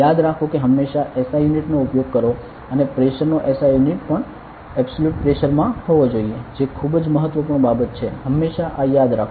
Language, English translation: Gujarati, Remember always use the SI unit and SI units of pressure should also be in absolute pressure very important thing always remember this ok